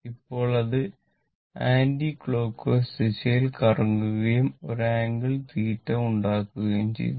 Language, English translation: Malayalam, It is revolving in the anti your anticlockwise direction, this way it is revolving and suppose making an angle theta